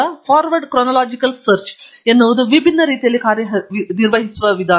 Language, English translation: Kannada, Forward chronological search is something that works in a different manner